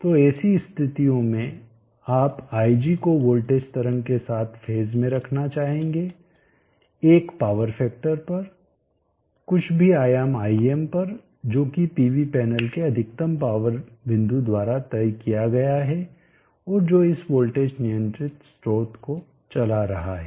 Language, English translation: Hindi, So in under such conditions you would like to put ig in phase with the voltage wave form at unity power factor, at whatever amplitude im as decided by the maximum power point of the pv panels which is driving this voltage controlled source